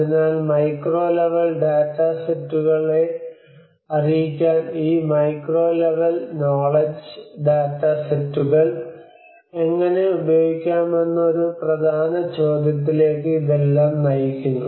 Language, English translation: Malayalam, So there is all this actually leads towards an important question of how to use this macro level knowledge data sets to inform the micro level data sets